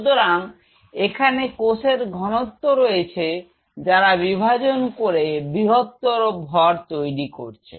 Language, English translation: Bengali, So, this is a mass of cell sitting out here which is dividing now it divide form a bigger mass this